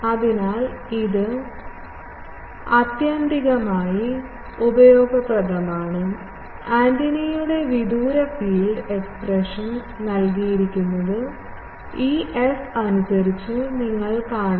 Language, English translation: Malayalam, So, this is ultimately the useful expression the far field of the antenna is given by this, you see in terms of this f, it can be expanded